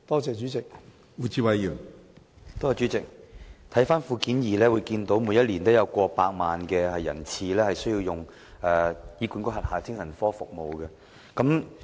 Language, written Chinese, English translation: Cantonese, 主席，從主體答覆的附件二中可見，每年均有過百萬人次需要使用醫管局轄下的精神科服務。, President from Annex 2 of the main reply the average number of attendances for psychiatric services of HA exceeds 1 million per year